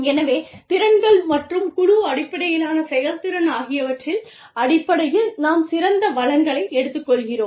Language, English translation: Tamil, And so, you know, we are taking the best pool of resources, in terms of skills, and team based effectiveness, has to come in